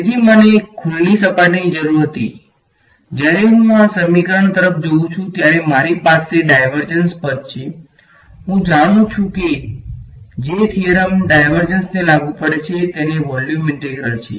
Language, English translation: Gujarati, So, I needed a open surface, when I look come to this equation I have a divergence term and I know that the theorem that applies to divergence has a volume integral